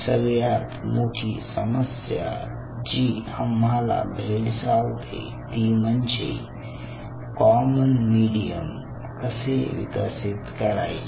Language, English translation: Marathi, so one of the challenge, what we were facing at that point of time, was how to develop a common medium